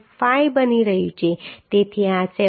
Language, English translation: Gujarati, 5 so this is becoming 7